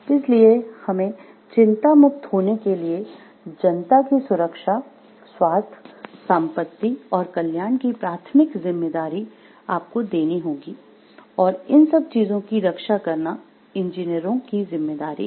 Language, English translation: Hindi, So, we have to keep into concern, you have to give primary responsibility towards the safety, health, property and welfare of the public and it is a part of the responsibility of the engineers to protect these things